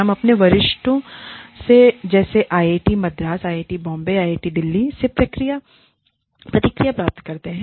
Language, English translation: Hindi, We keep getting feedback, from our seniors, in say, IIT Madras, or IIT Bombay, or IIT Delhi